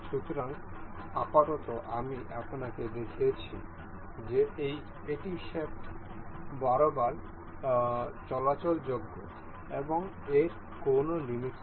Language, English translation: Bengali, So, for now as I have shown you that this is movable to along the shaft and it does not have any limit